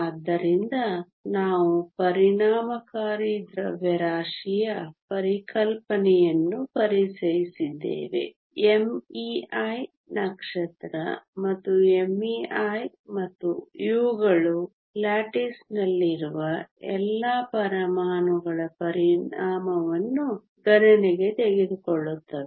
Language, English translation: Kannada, So, we introduced the concept of the effective mass m e star and m h star and these take into account the effect of all the atoms in the lattice